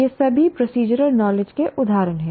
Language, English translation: Hindi, These are all examples of procedural knowledge